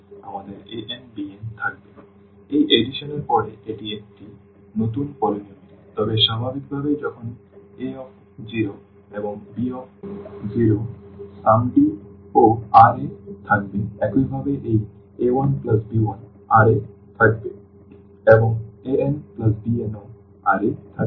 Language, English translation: Bengali, So, this is the new polynomial now after this addition, but naturally when a 0 and this b 0 R in R the sum is also n R similarly this a 1 b 1 will be in R and a n plus b n will be also in R